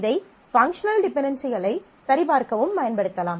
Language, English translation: Tamil, It can be used for checking functional dependencies